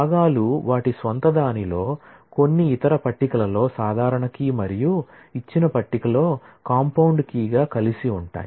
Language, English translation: Telugu, The components are simple key in their own right, in some other table and are put together as a compound key in the given table